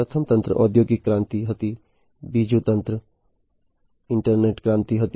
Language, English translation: Gujarati, So, the first wave was the industrial revolution, in the second wave was the internet revolution